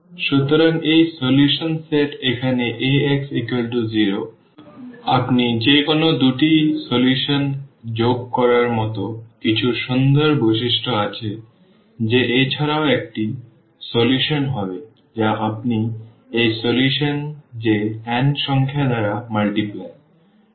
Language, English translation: Bengali, So, this solution set here of Ax is equal to 0, has some nice properties like you add any two solution that will be also solution or you multiply by n number to this solution that will be also a solution